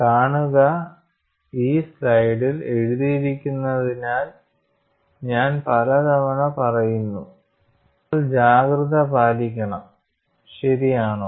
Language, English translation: Malayalam, See just, because it is written like this I have been saying many times, you have to be alert, is it right